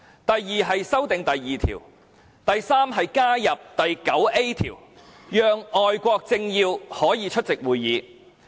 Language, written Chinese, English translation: Cantonese, 第三，在《議事規則》加入第 9A 條，讓外國政要可以出席會議。, Thirdly I propose to add RoP 9A to the Rules of Procedure to provide that foreign dignitaries may be invited to attend our meetings